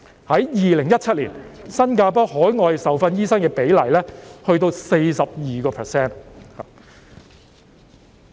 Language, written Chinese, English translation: Cantonese, 在2017年，新加坡的海外受訓醫生比例高達 42%。, In 2017 the ratio of overseas trained doctors in Singapore was as high as 42 %